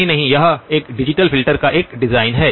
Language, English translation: Hindi, ” No, no, this is a design of a digital filter